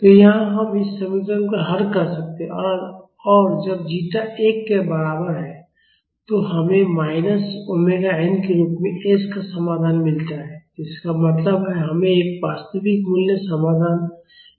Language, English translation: Hindi, So, here we can solve this equation and when zeta is equal to 1, we get the solution to s as minus omega n; that means, we get a single real value solution